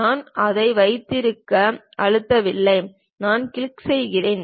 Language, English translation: Tamil, I am not pressing holding it, I just click